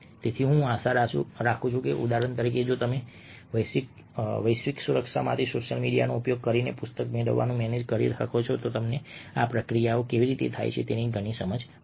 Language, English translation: Gujarati, so i hope that ah, for instance, see if you can do manage to get the book using social media for global security will give you a lot of insight into how this process has takes place